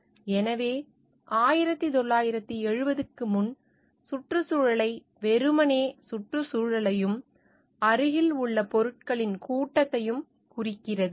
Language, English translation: Tamil, So, before 1970, the environment simply denoted the surroundings and the assemblage of things nearby